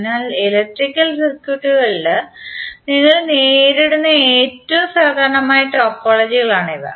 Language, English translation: Malayalam, So these are the most common topologies you will encounter in the electrical circuits